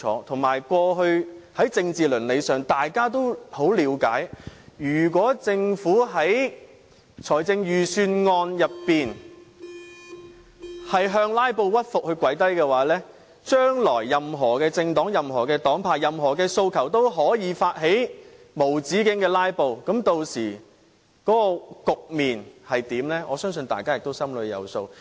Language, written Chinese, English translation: Cantonese, 而且，過去在政治倫理上，大家也很了解如果政府在預算案中向"拉布"屈服、跪低，將來若任何政黨、任何黨派有任何訴求，也可以發起無止境"拉布"，屆時局面會如何，我相信大家也心裏有數。, Capsizing it will harm virtually everyone . I think this is obviously the case . Moreover from the perspective of political ethics we all understand that if the Government is to submit itself to filibuster when preparing the Budget then any political parties or organizations with any demands can launch an endless filibuster in the future